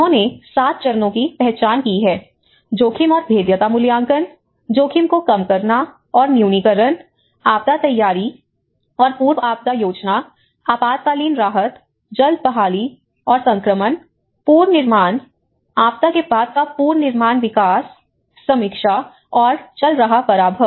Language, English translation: Hindi, They have identified the 7 phases; one is the risk and vulnerability assessment, risk reduction and mitigation, disaster preparedness and pre disaster planning, emergency relief, early recovery and transition, reconstruction, post reconstruction development, review and ongoing reduction